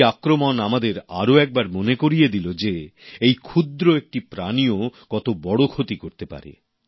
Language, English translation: Bengali, These attacks again remind us of the great damage this small creature can inflict